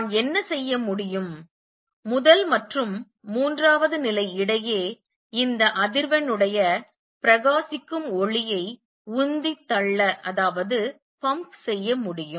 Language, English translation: Tamil, What I can do is pump shine light of this frequency between the first and the third level